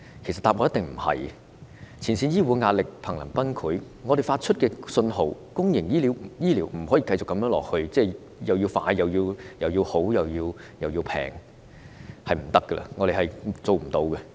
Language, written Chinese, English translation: Cantonese, 前線醫護人員在壓力下瀕臨崩潰，他們表示公營醫療不可繼續這樣下去，既要快又要好，還要便宜，他們真的做不到。, Frontline health care personnel are so stressful that they are on the verge of collapse . They point out that the present situation cannot sustain ie . public health care services cannot be provided continuously in a fast efficient and economical manner